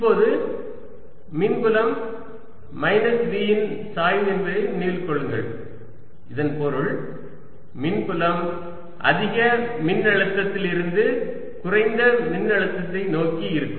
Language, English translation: Tamil, now remember that electric field is minus grad of v, the, and that means electric field would be from higher to lower potential